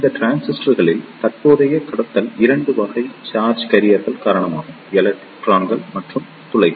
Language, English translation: Tamil, In these transistors, the current conduction is due to 2 type of charge carriers; electrons and holes